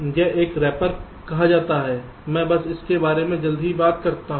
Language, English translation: Hindi, this is called something call a rapper i just talk about it shortly